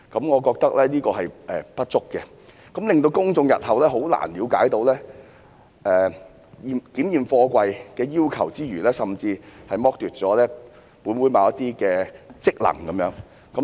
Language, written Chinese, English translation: Cantonese, 我覺得這修訂方式的不足之處，令公眾日後很難了解檢驗貨櫃的要求之餘，更剝奪了本會行使某些職能的機會。, My feeling is that the inadequacies of this amendment approach will make it difficult for the public to understand the requirements on container inspection in the future and will even deprive this Council of the opportunity to discharge certain functions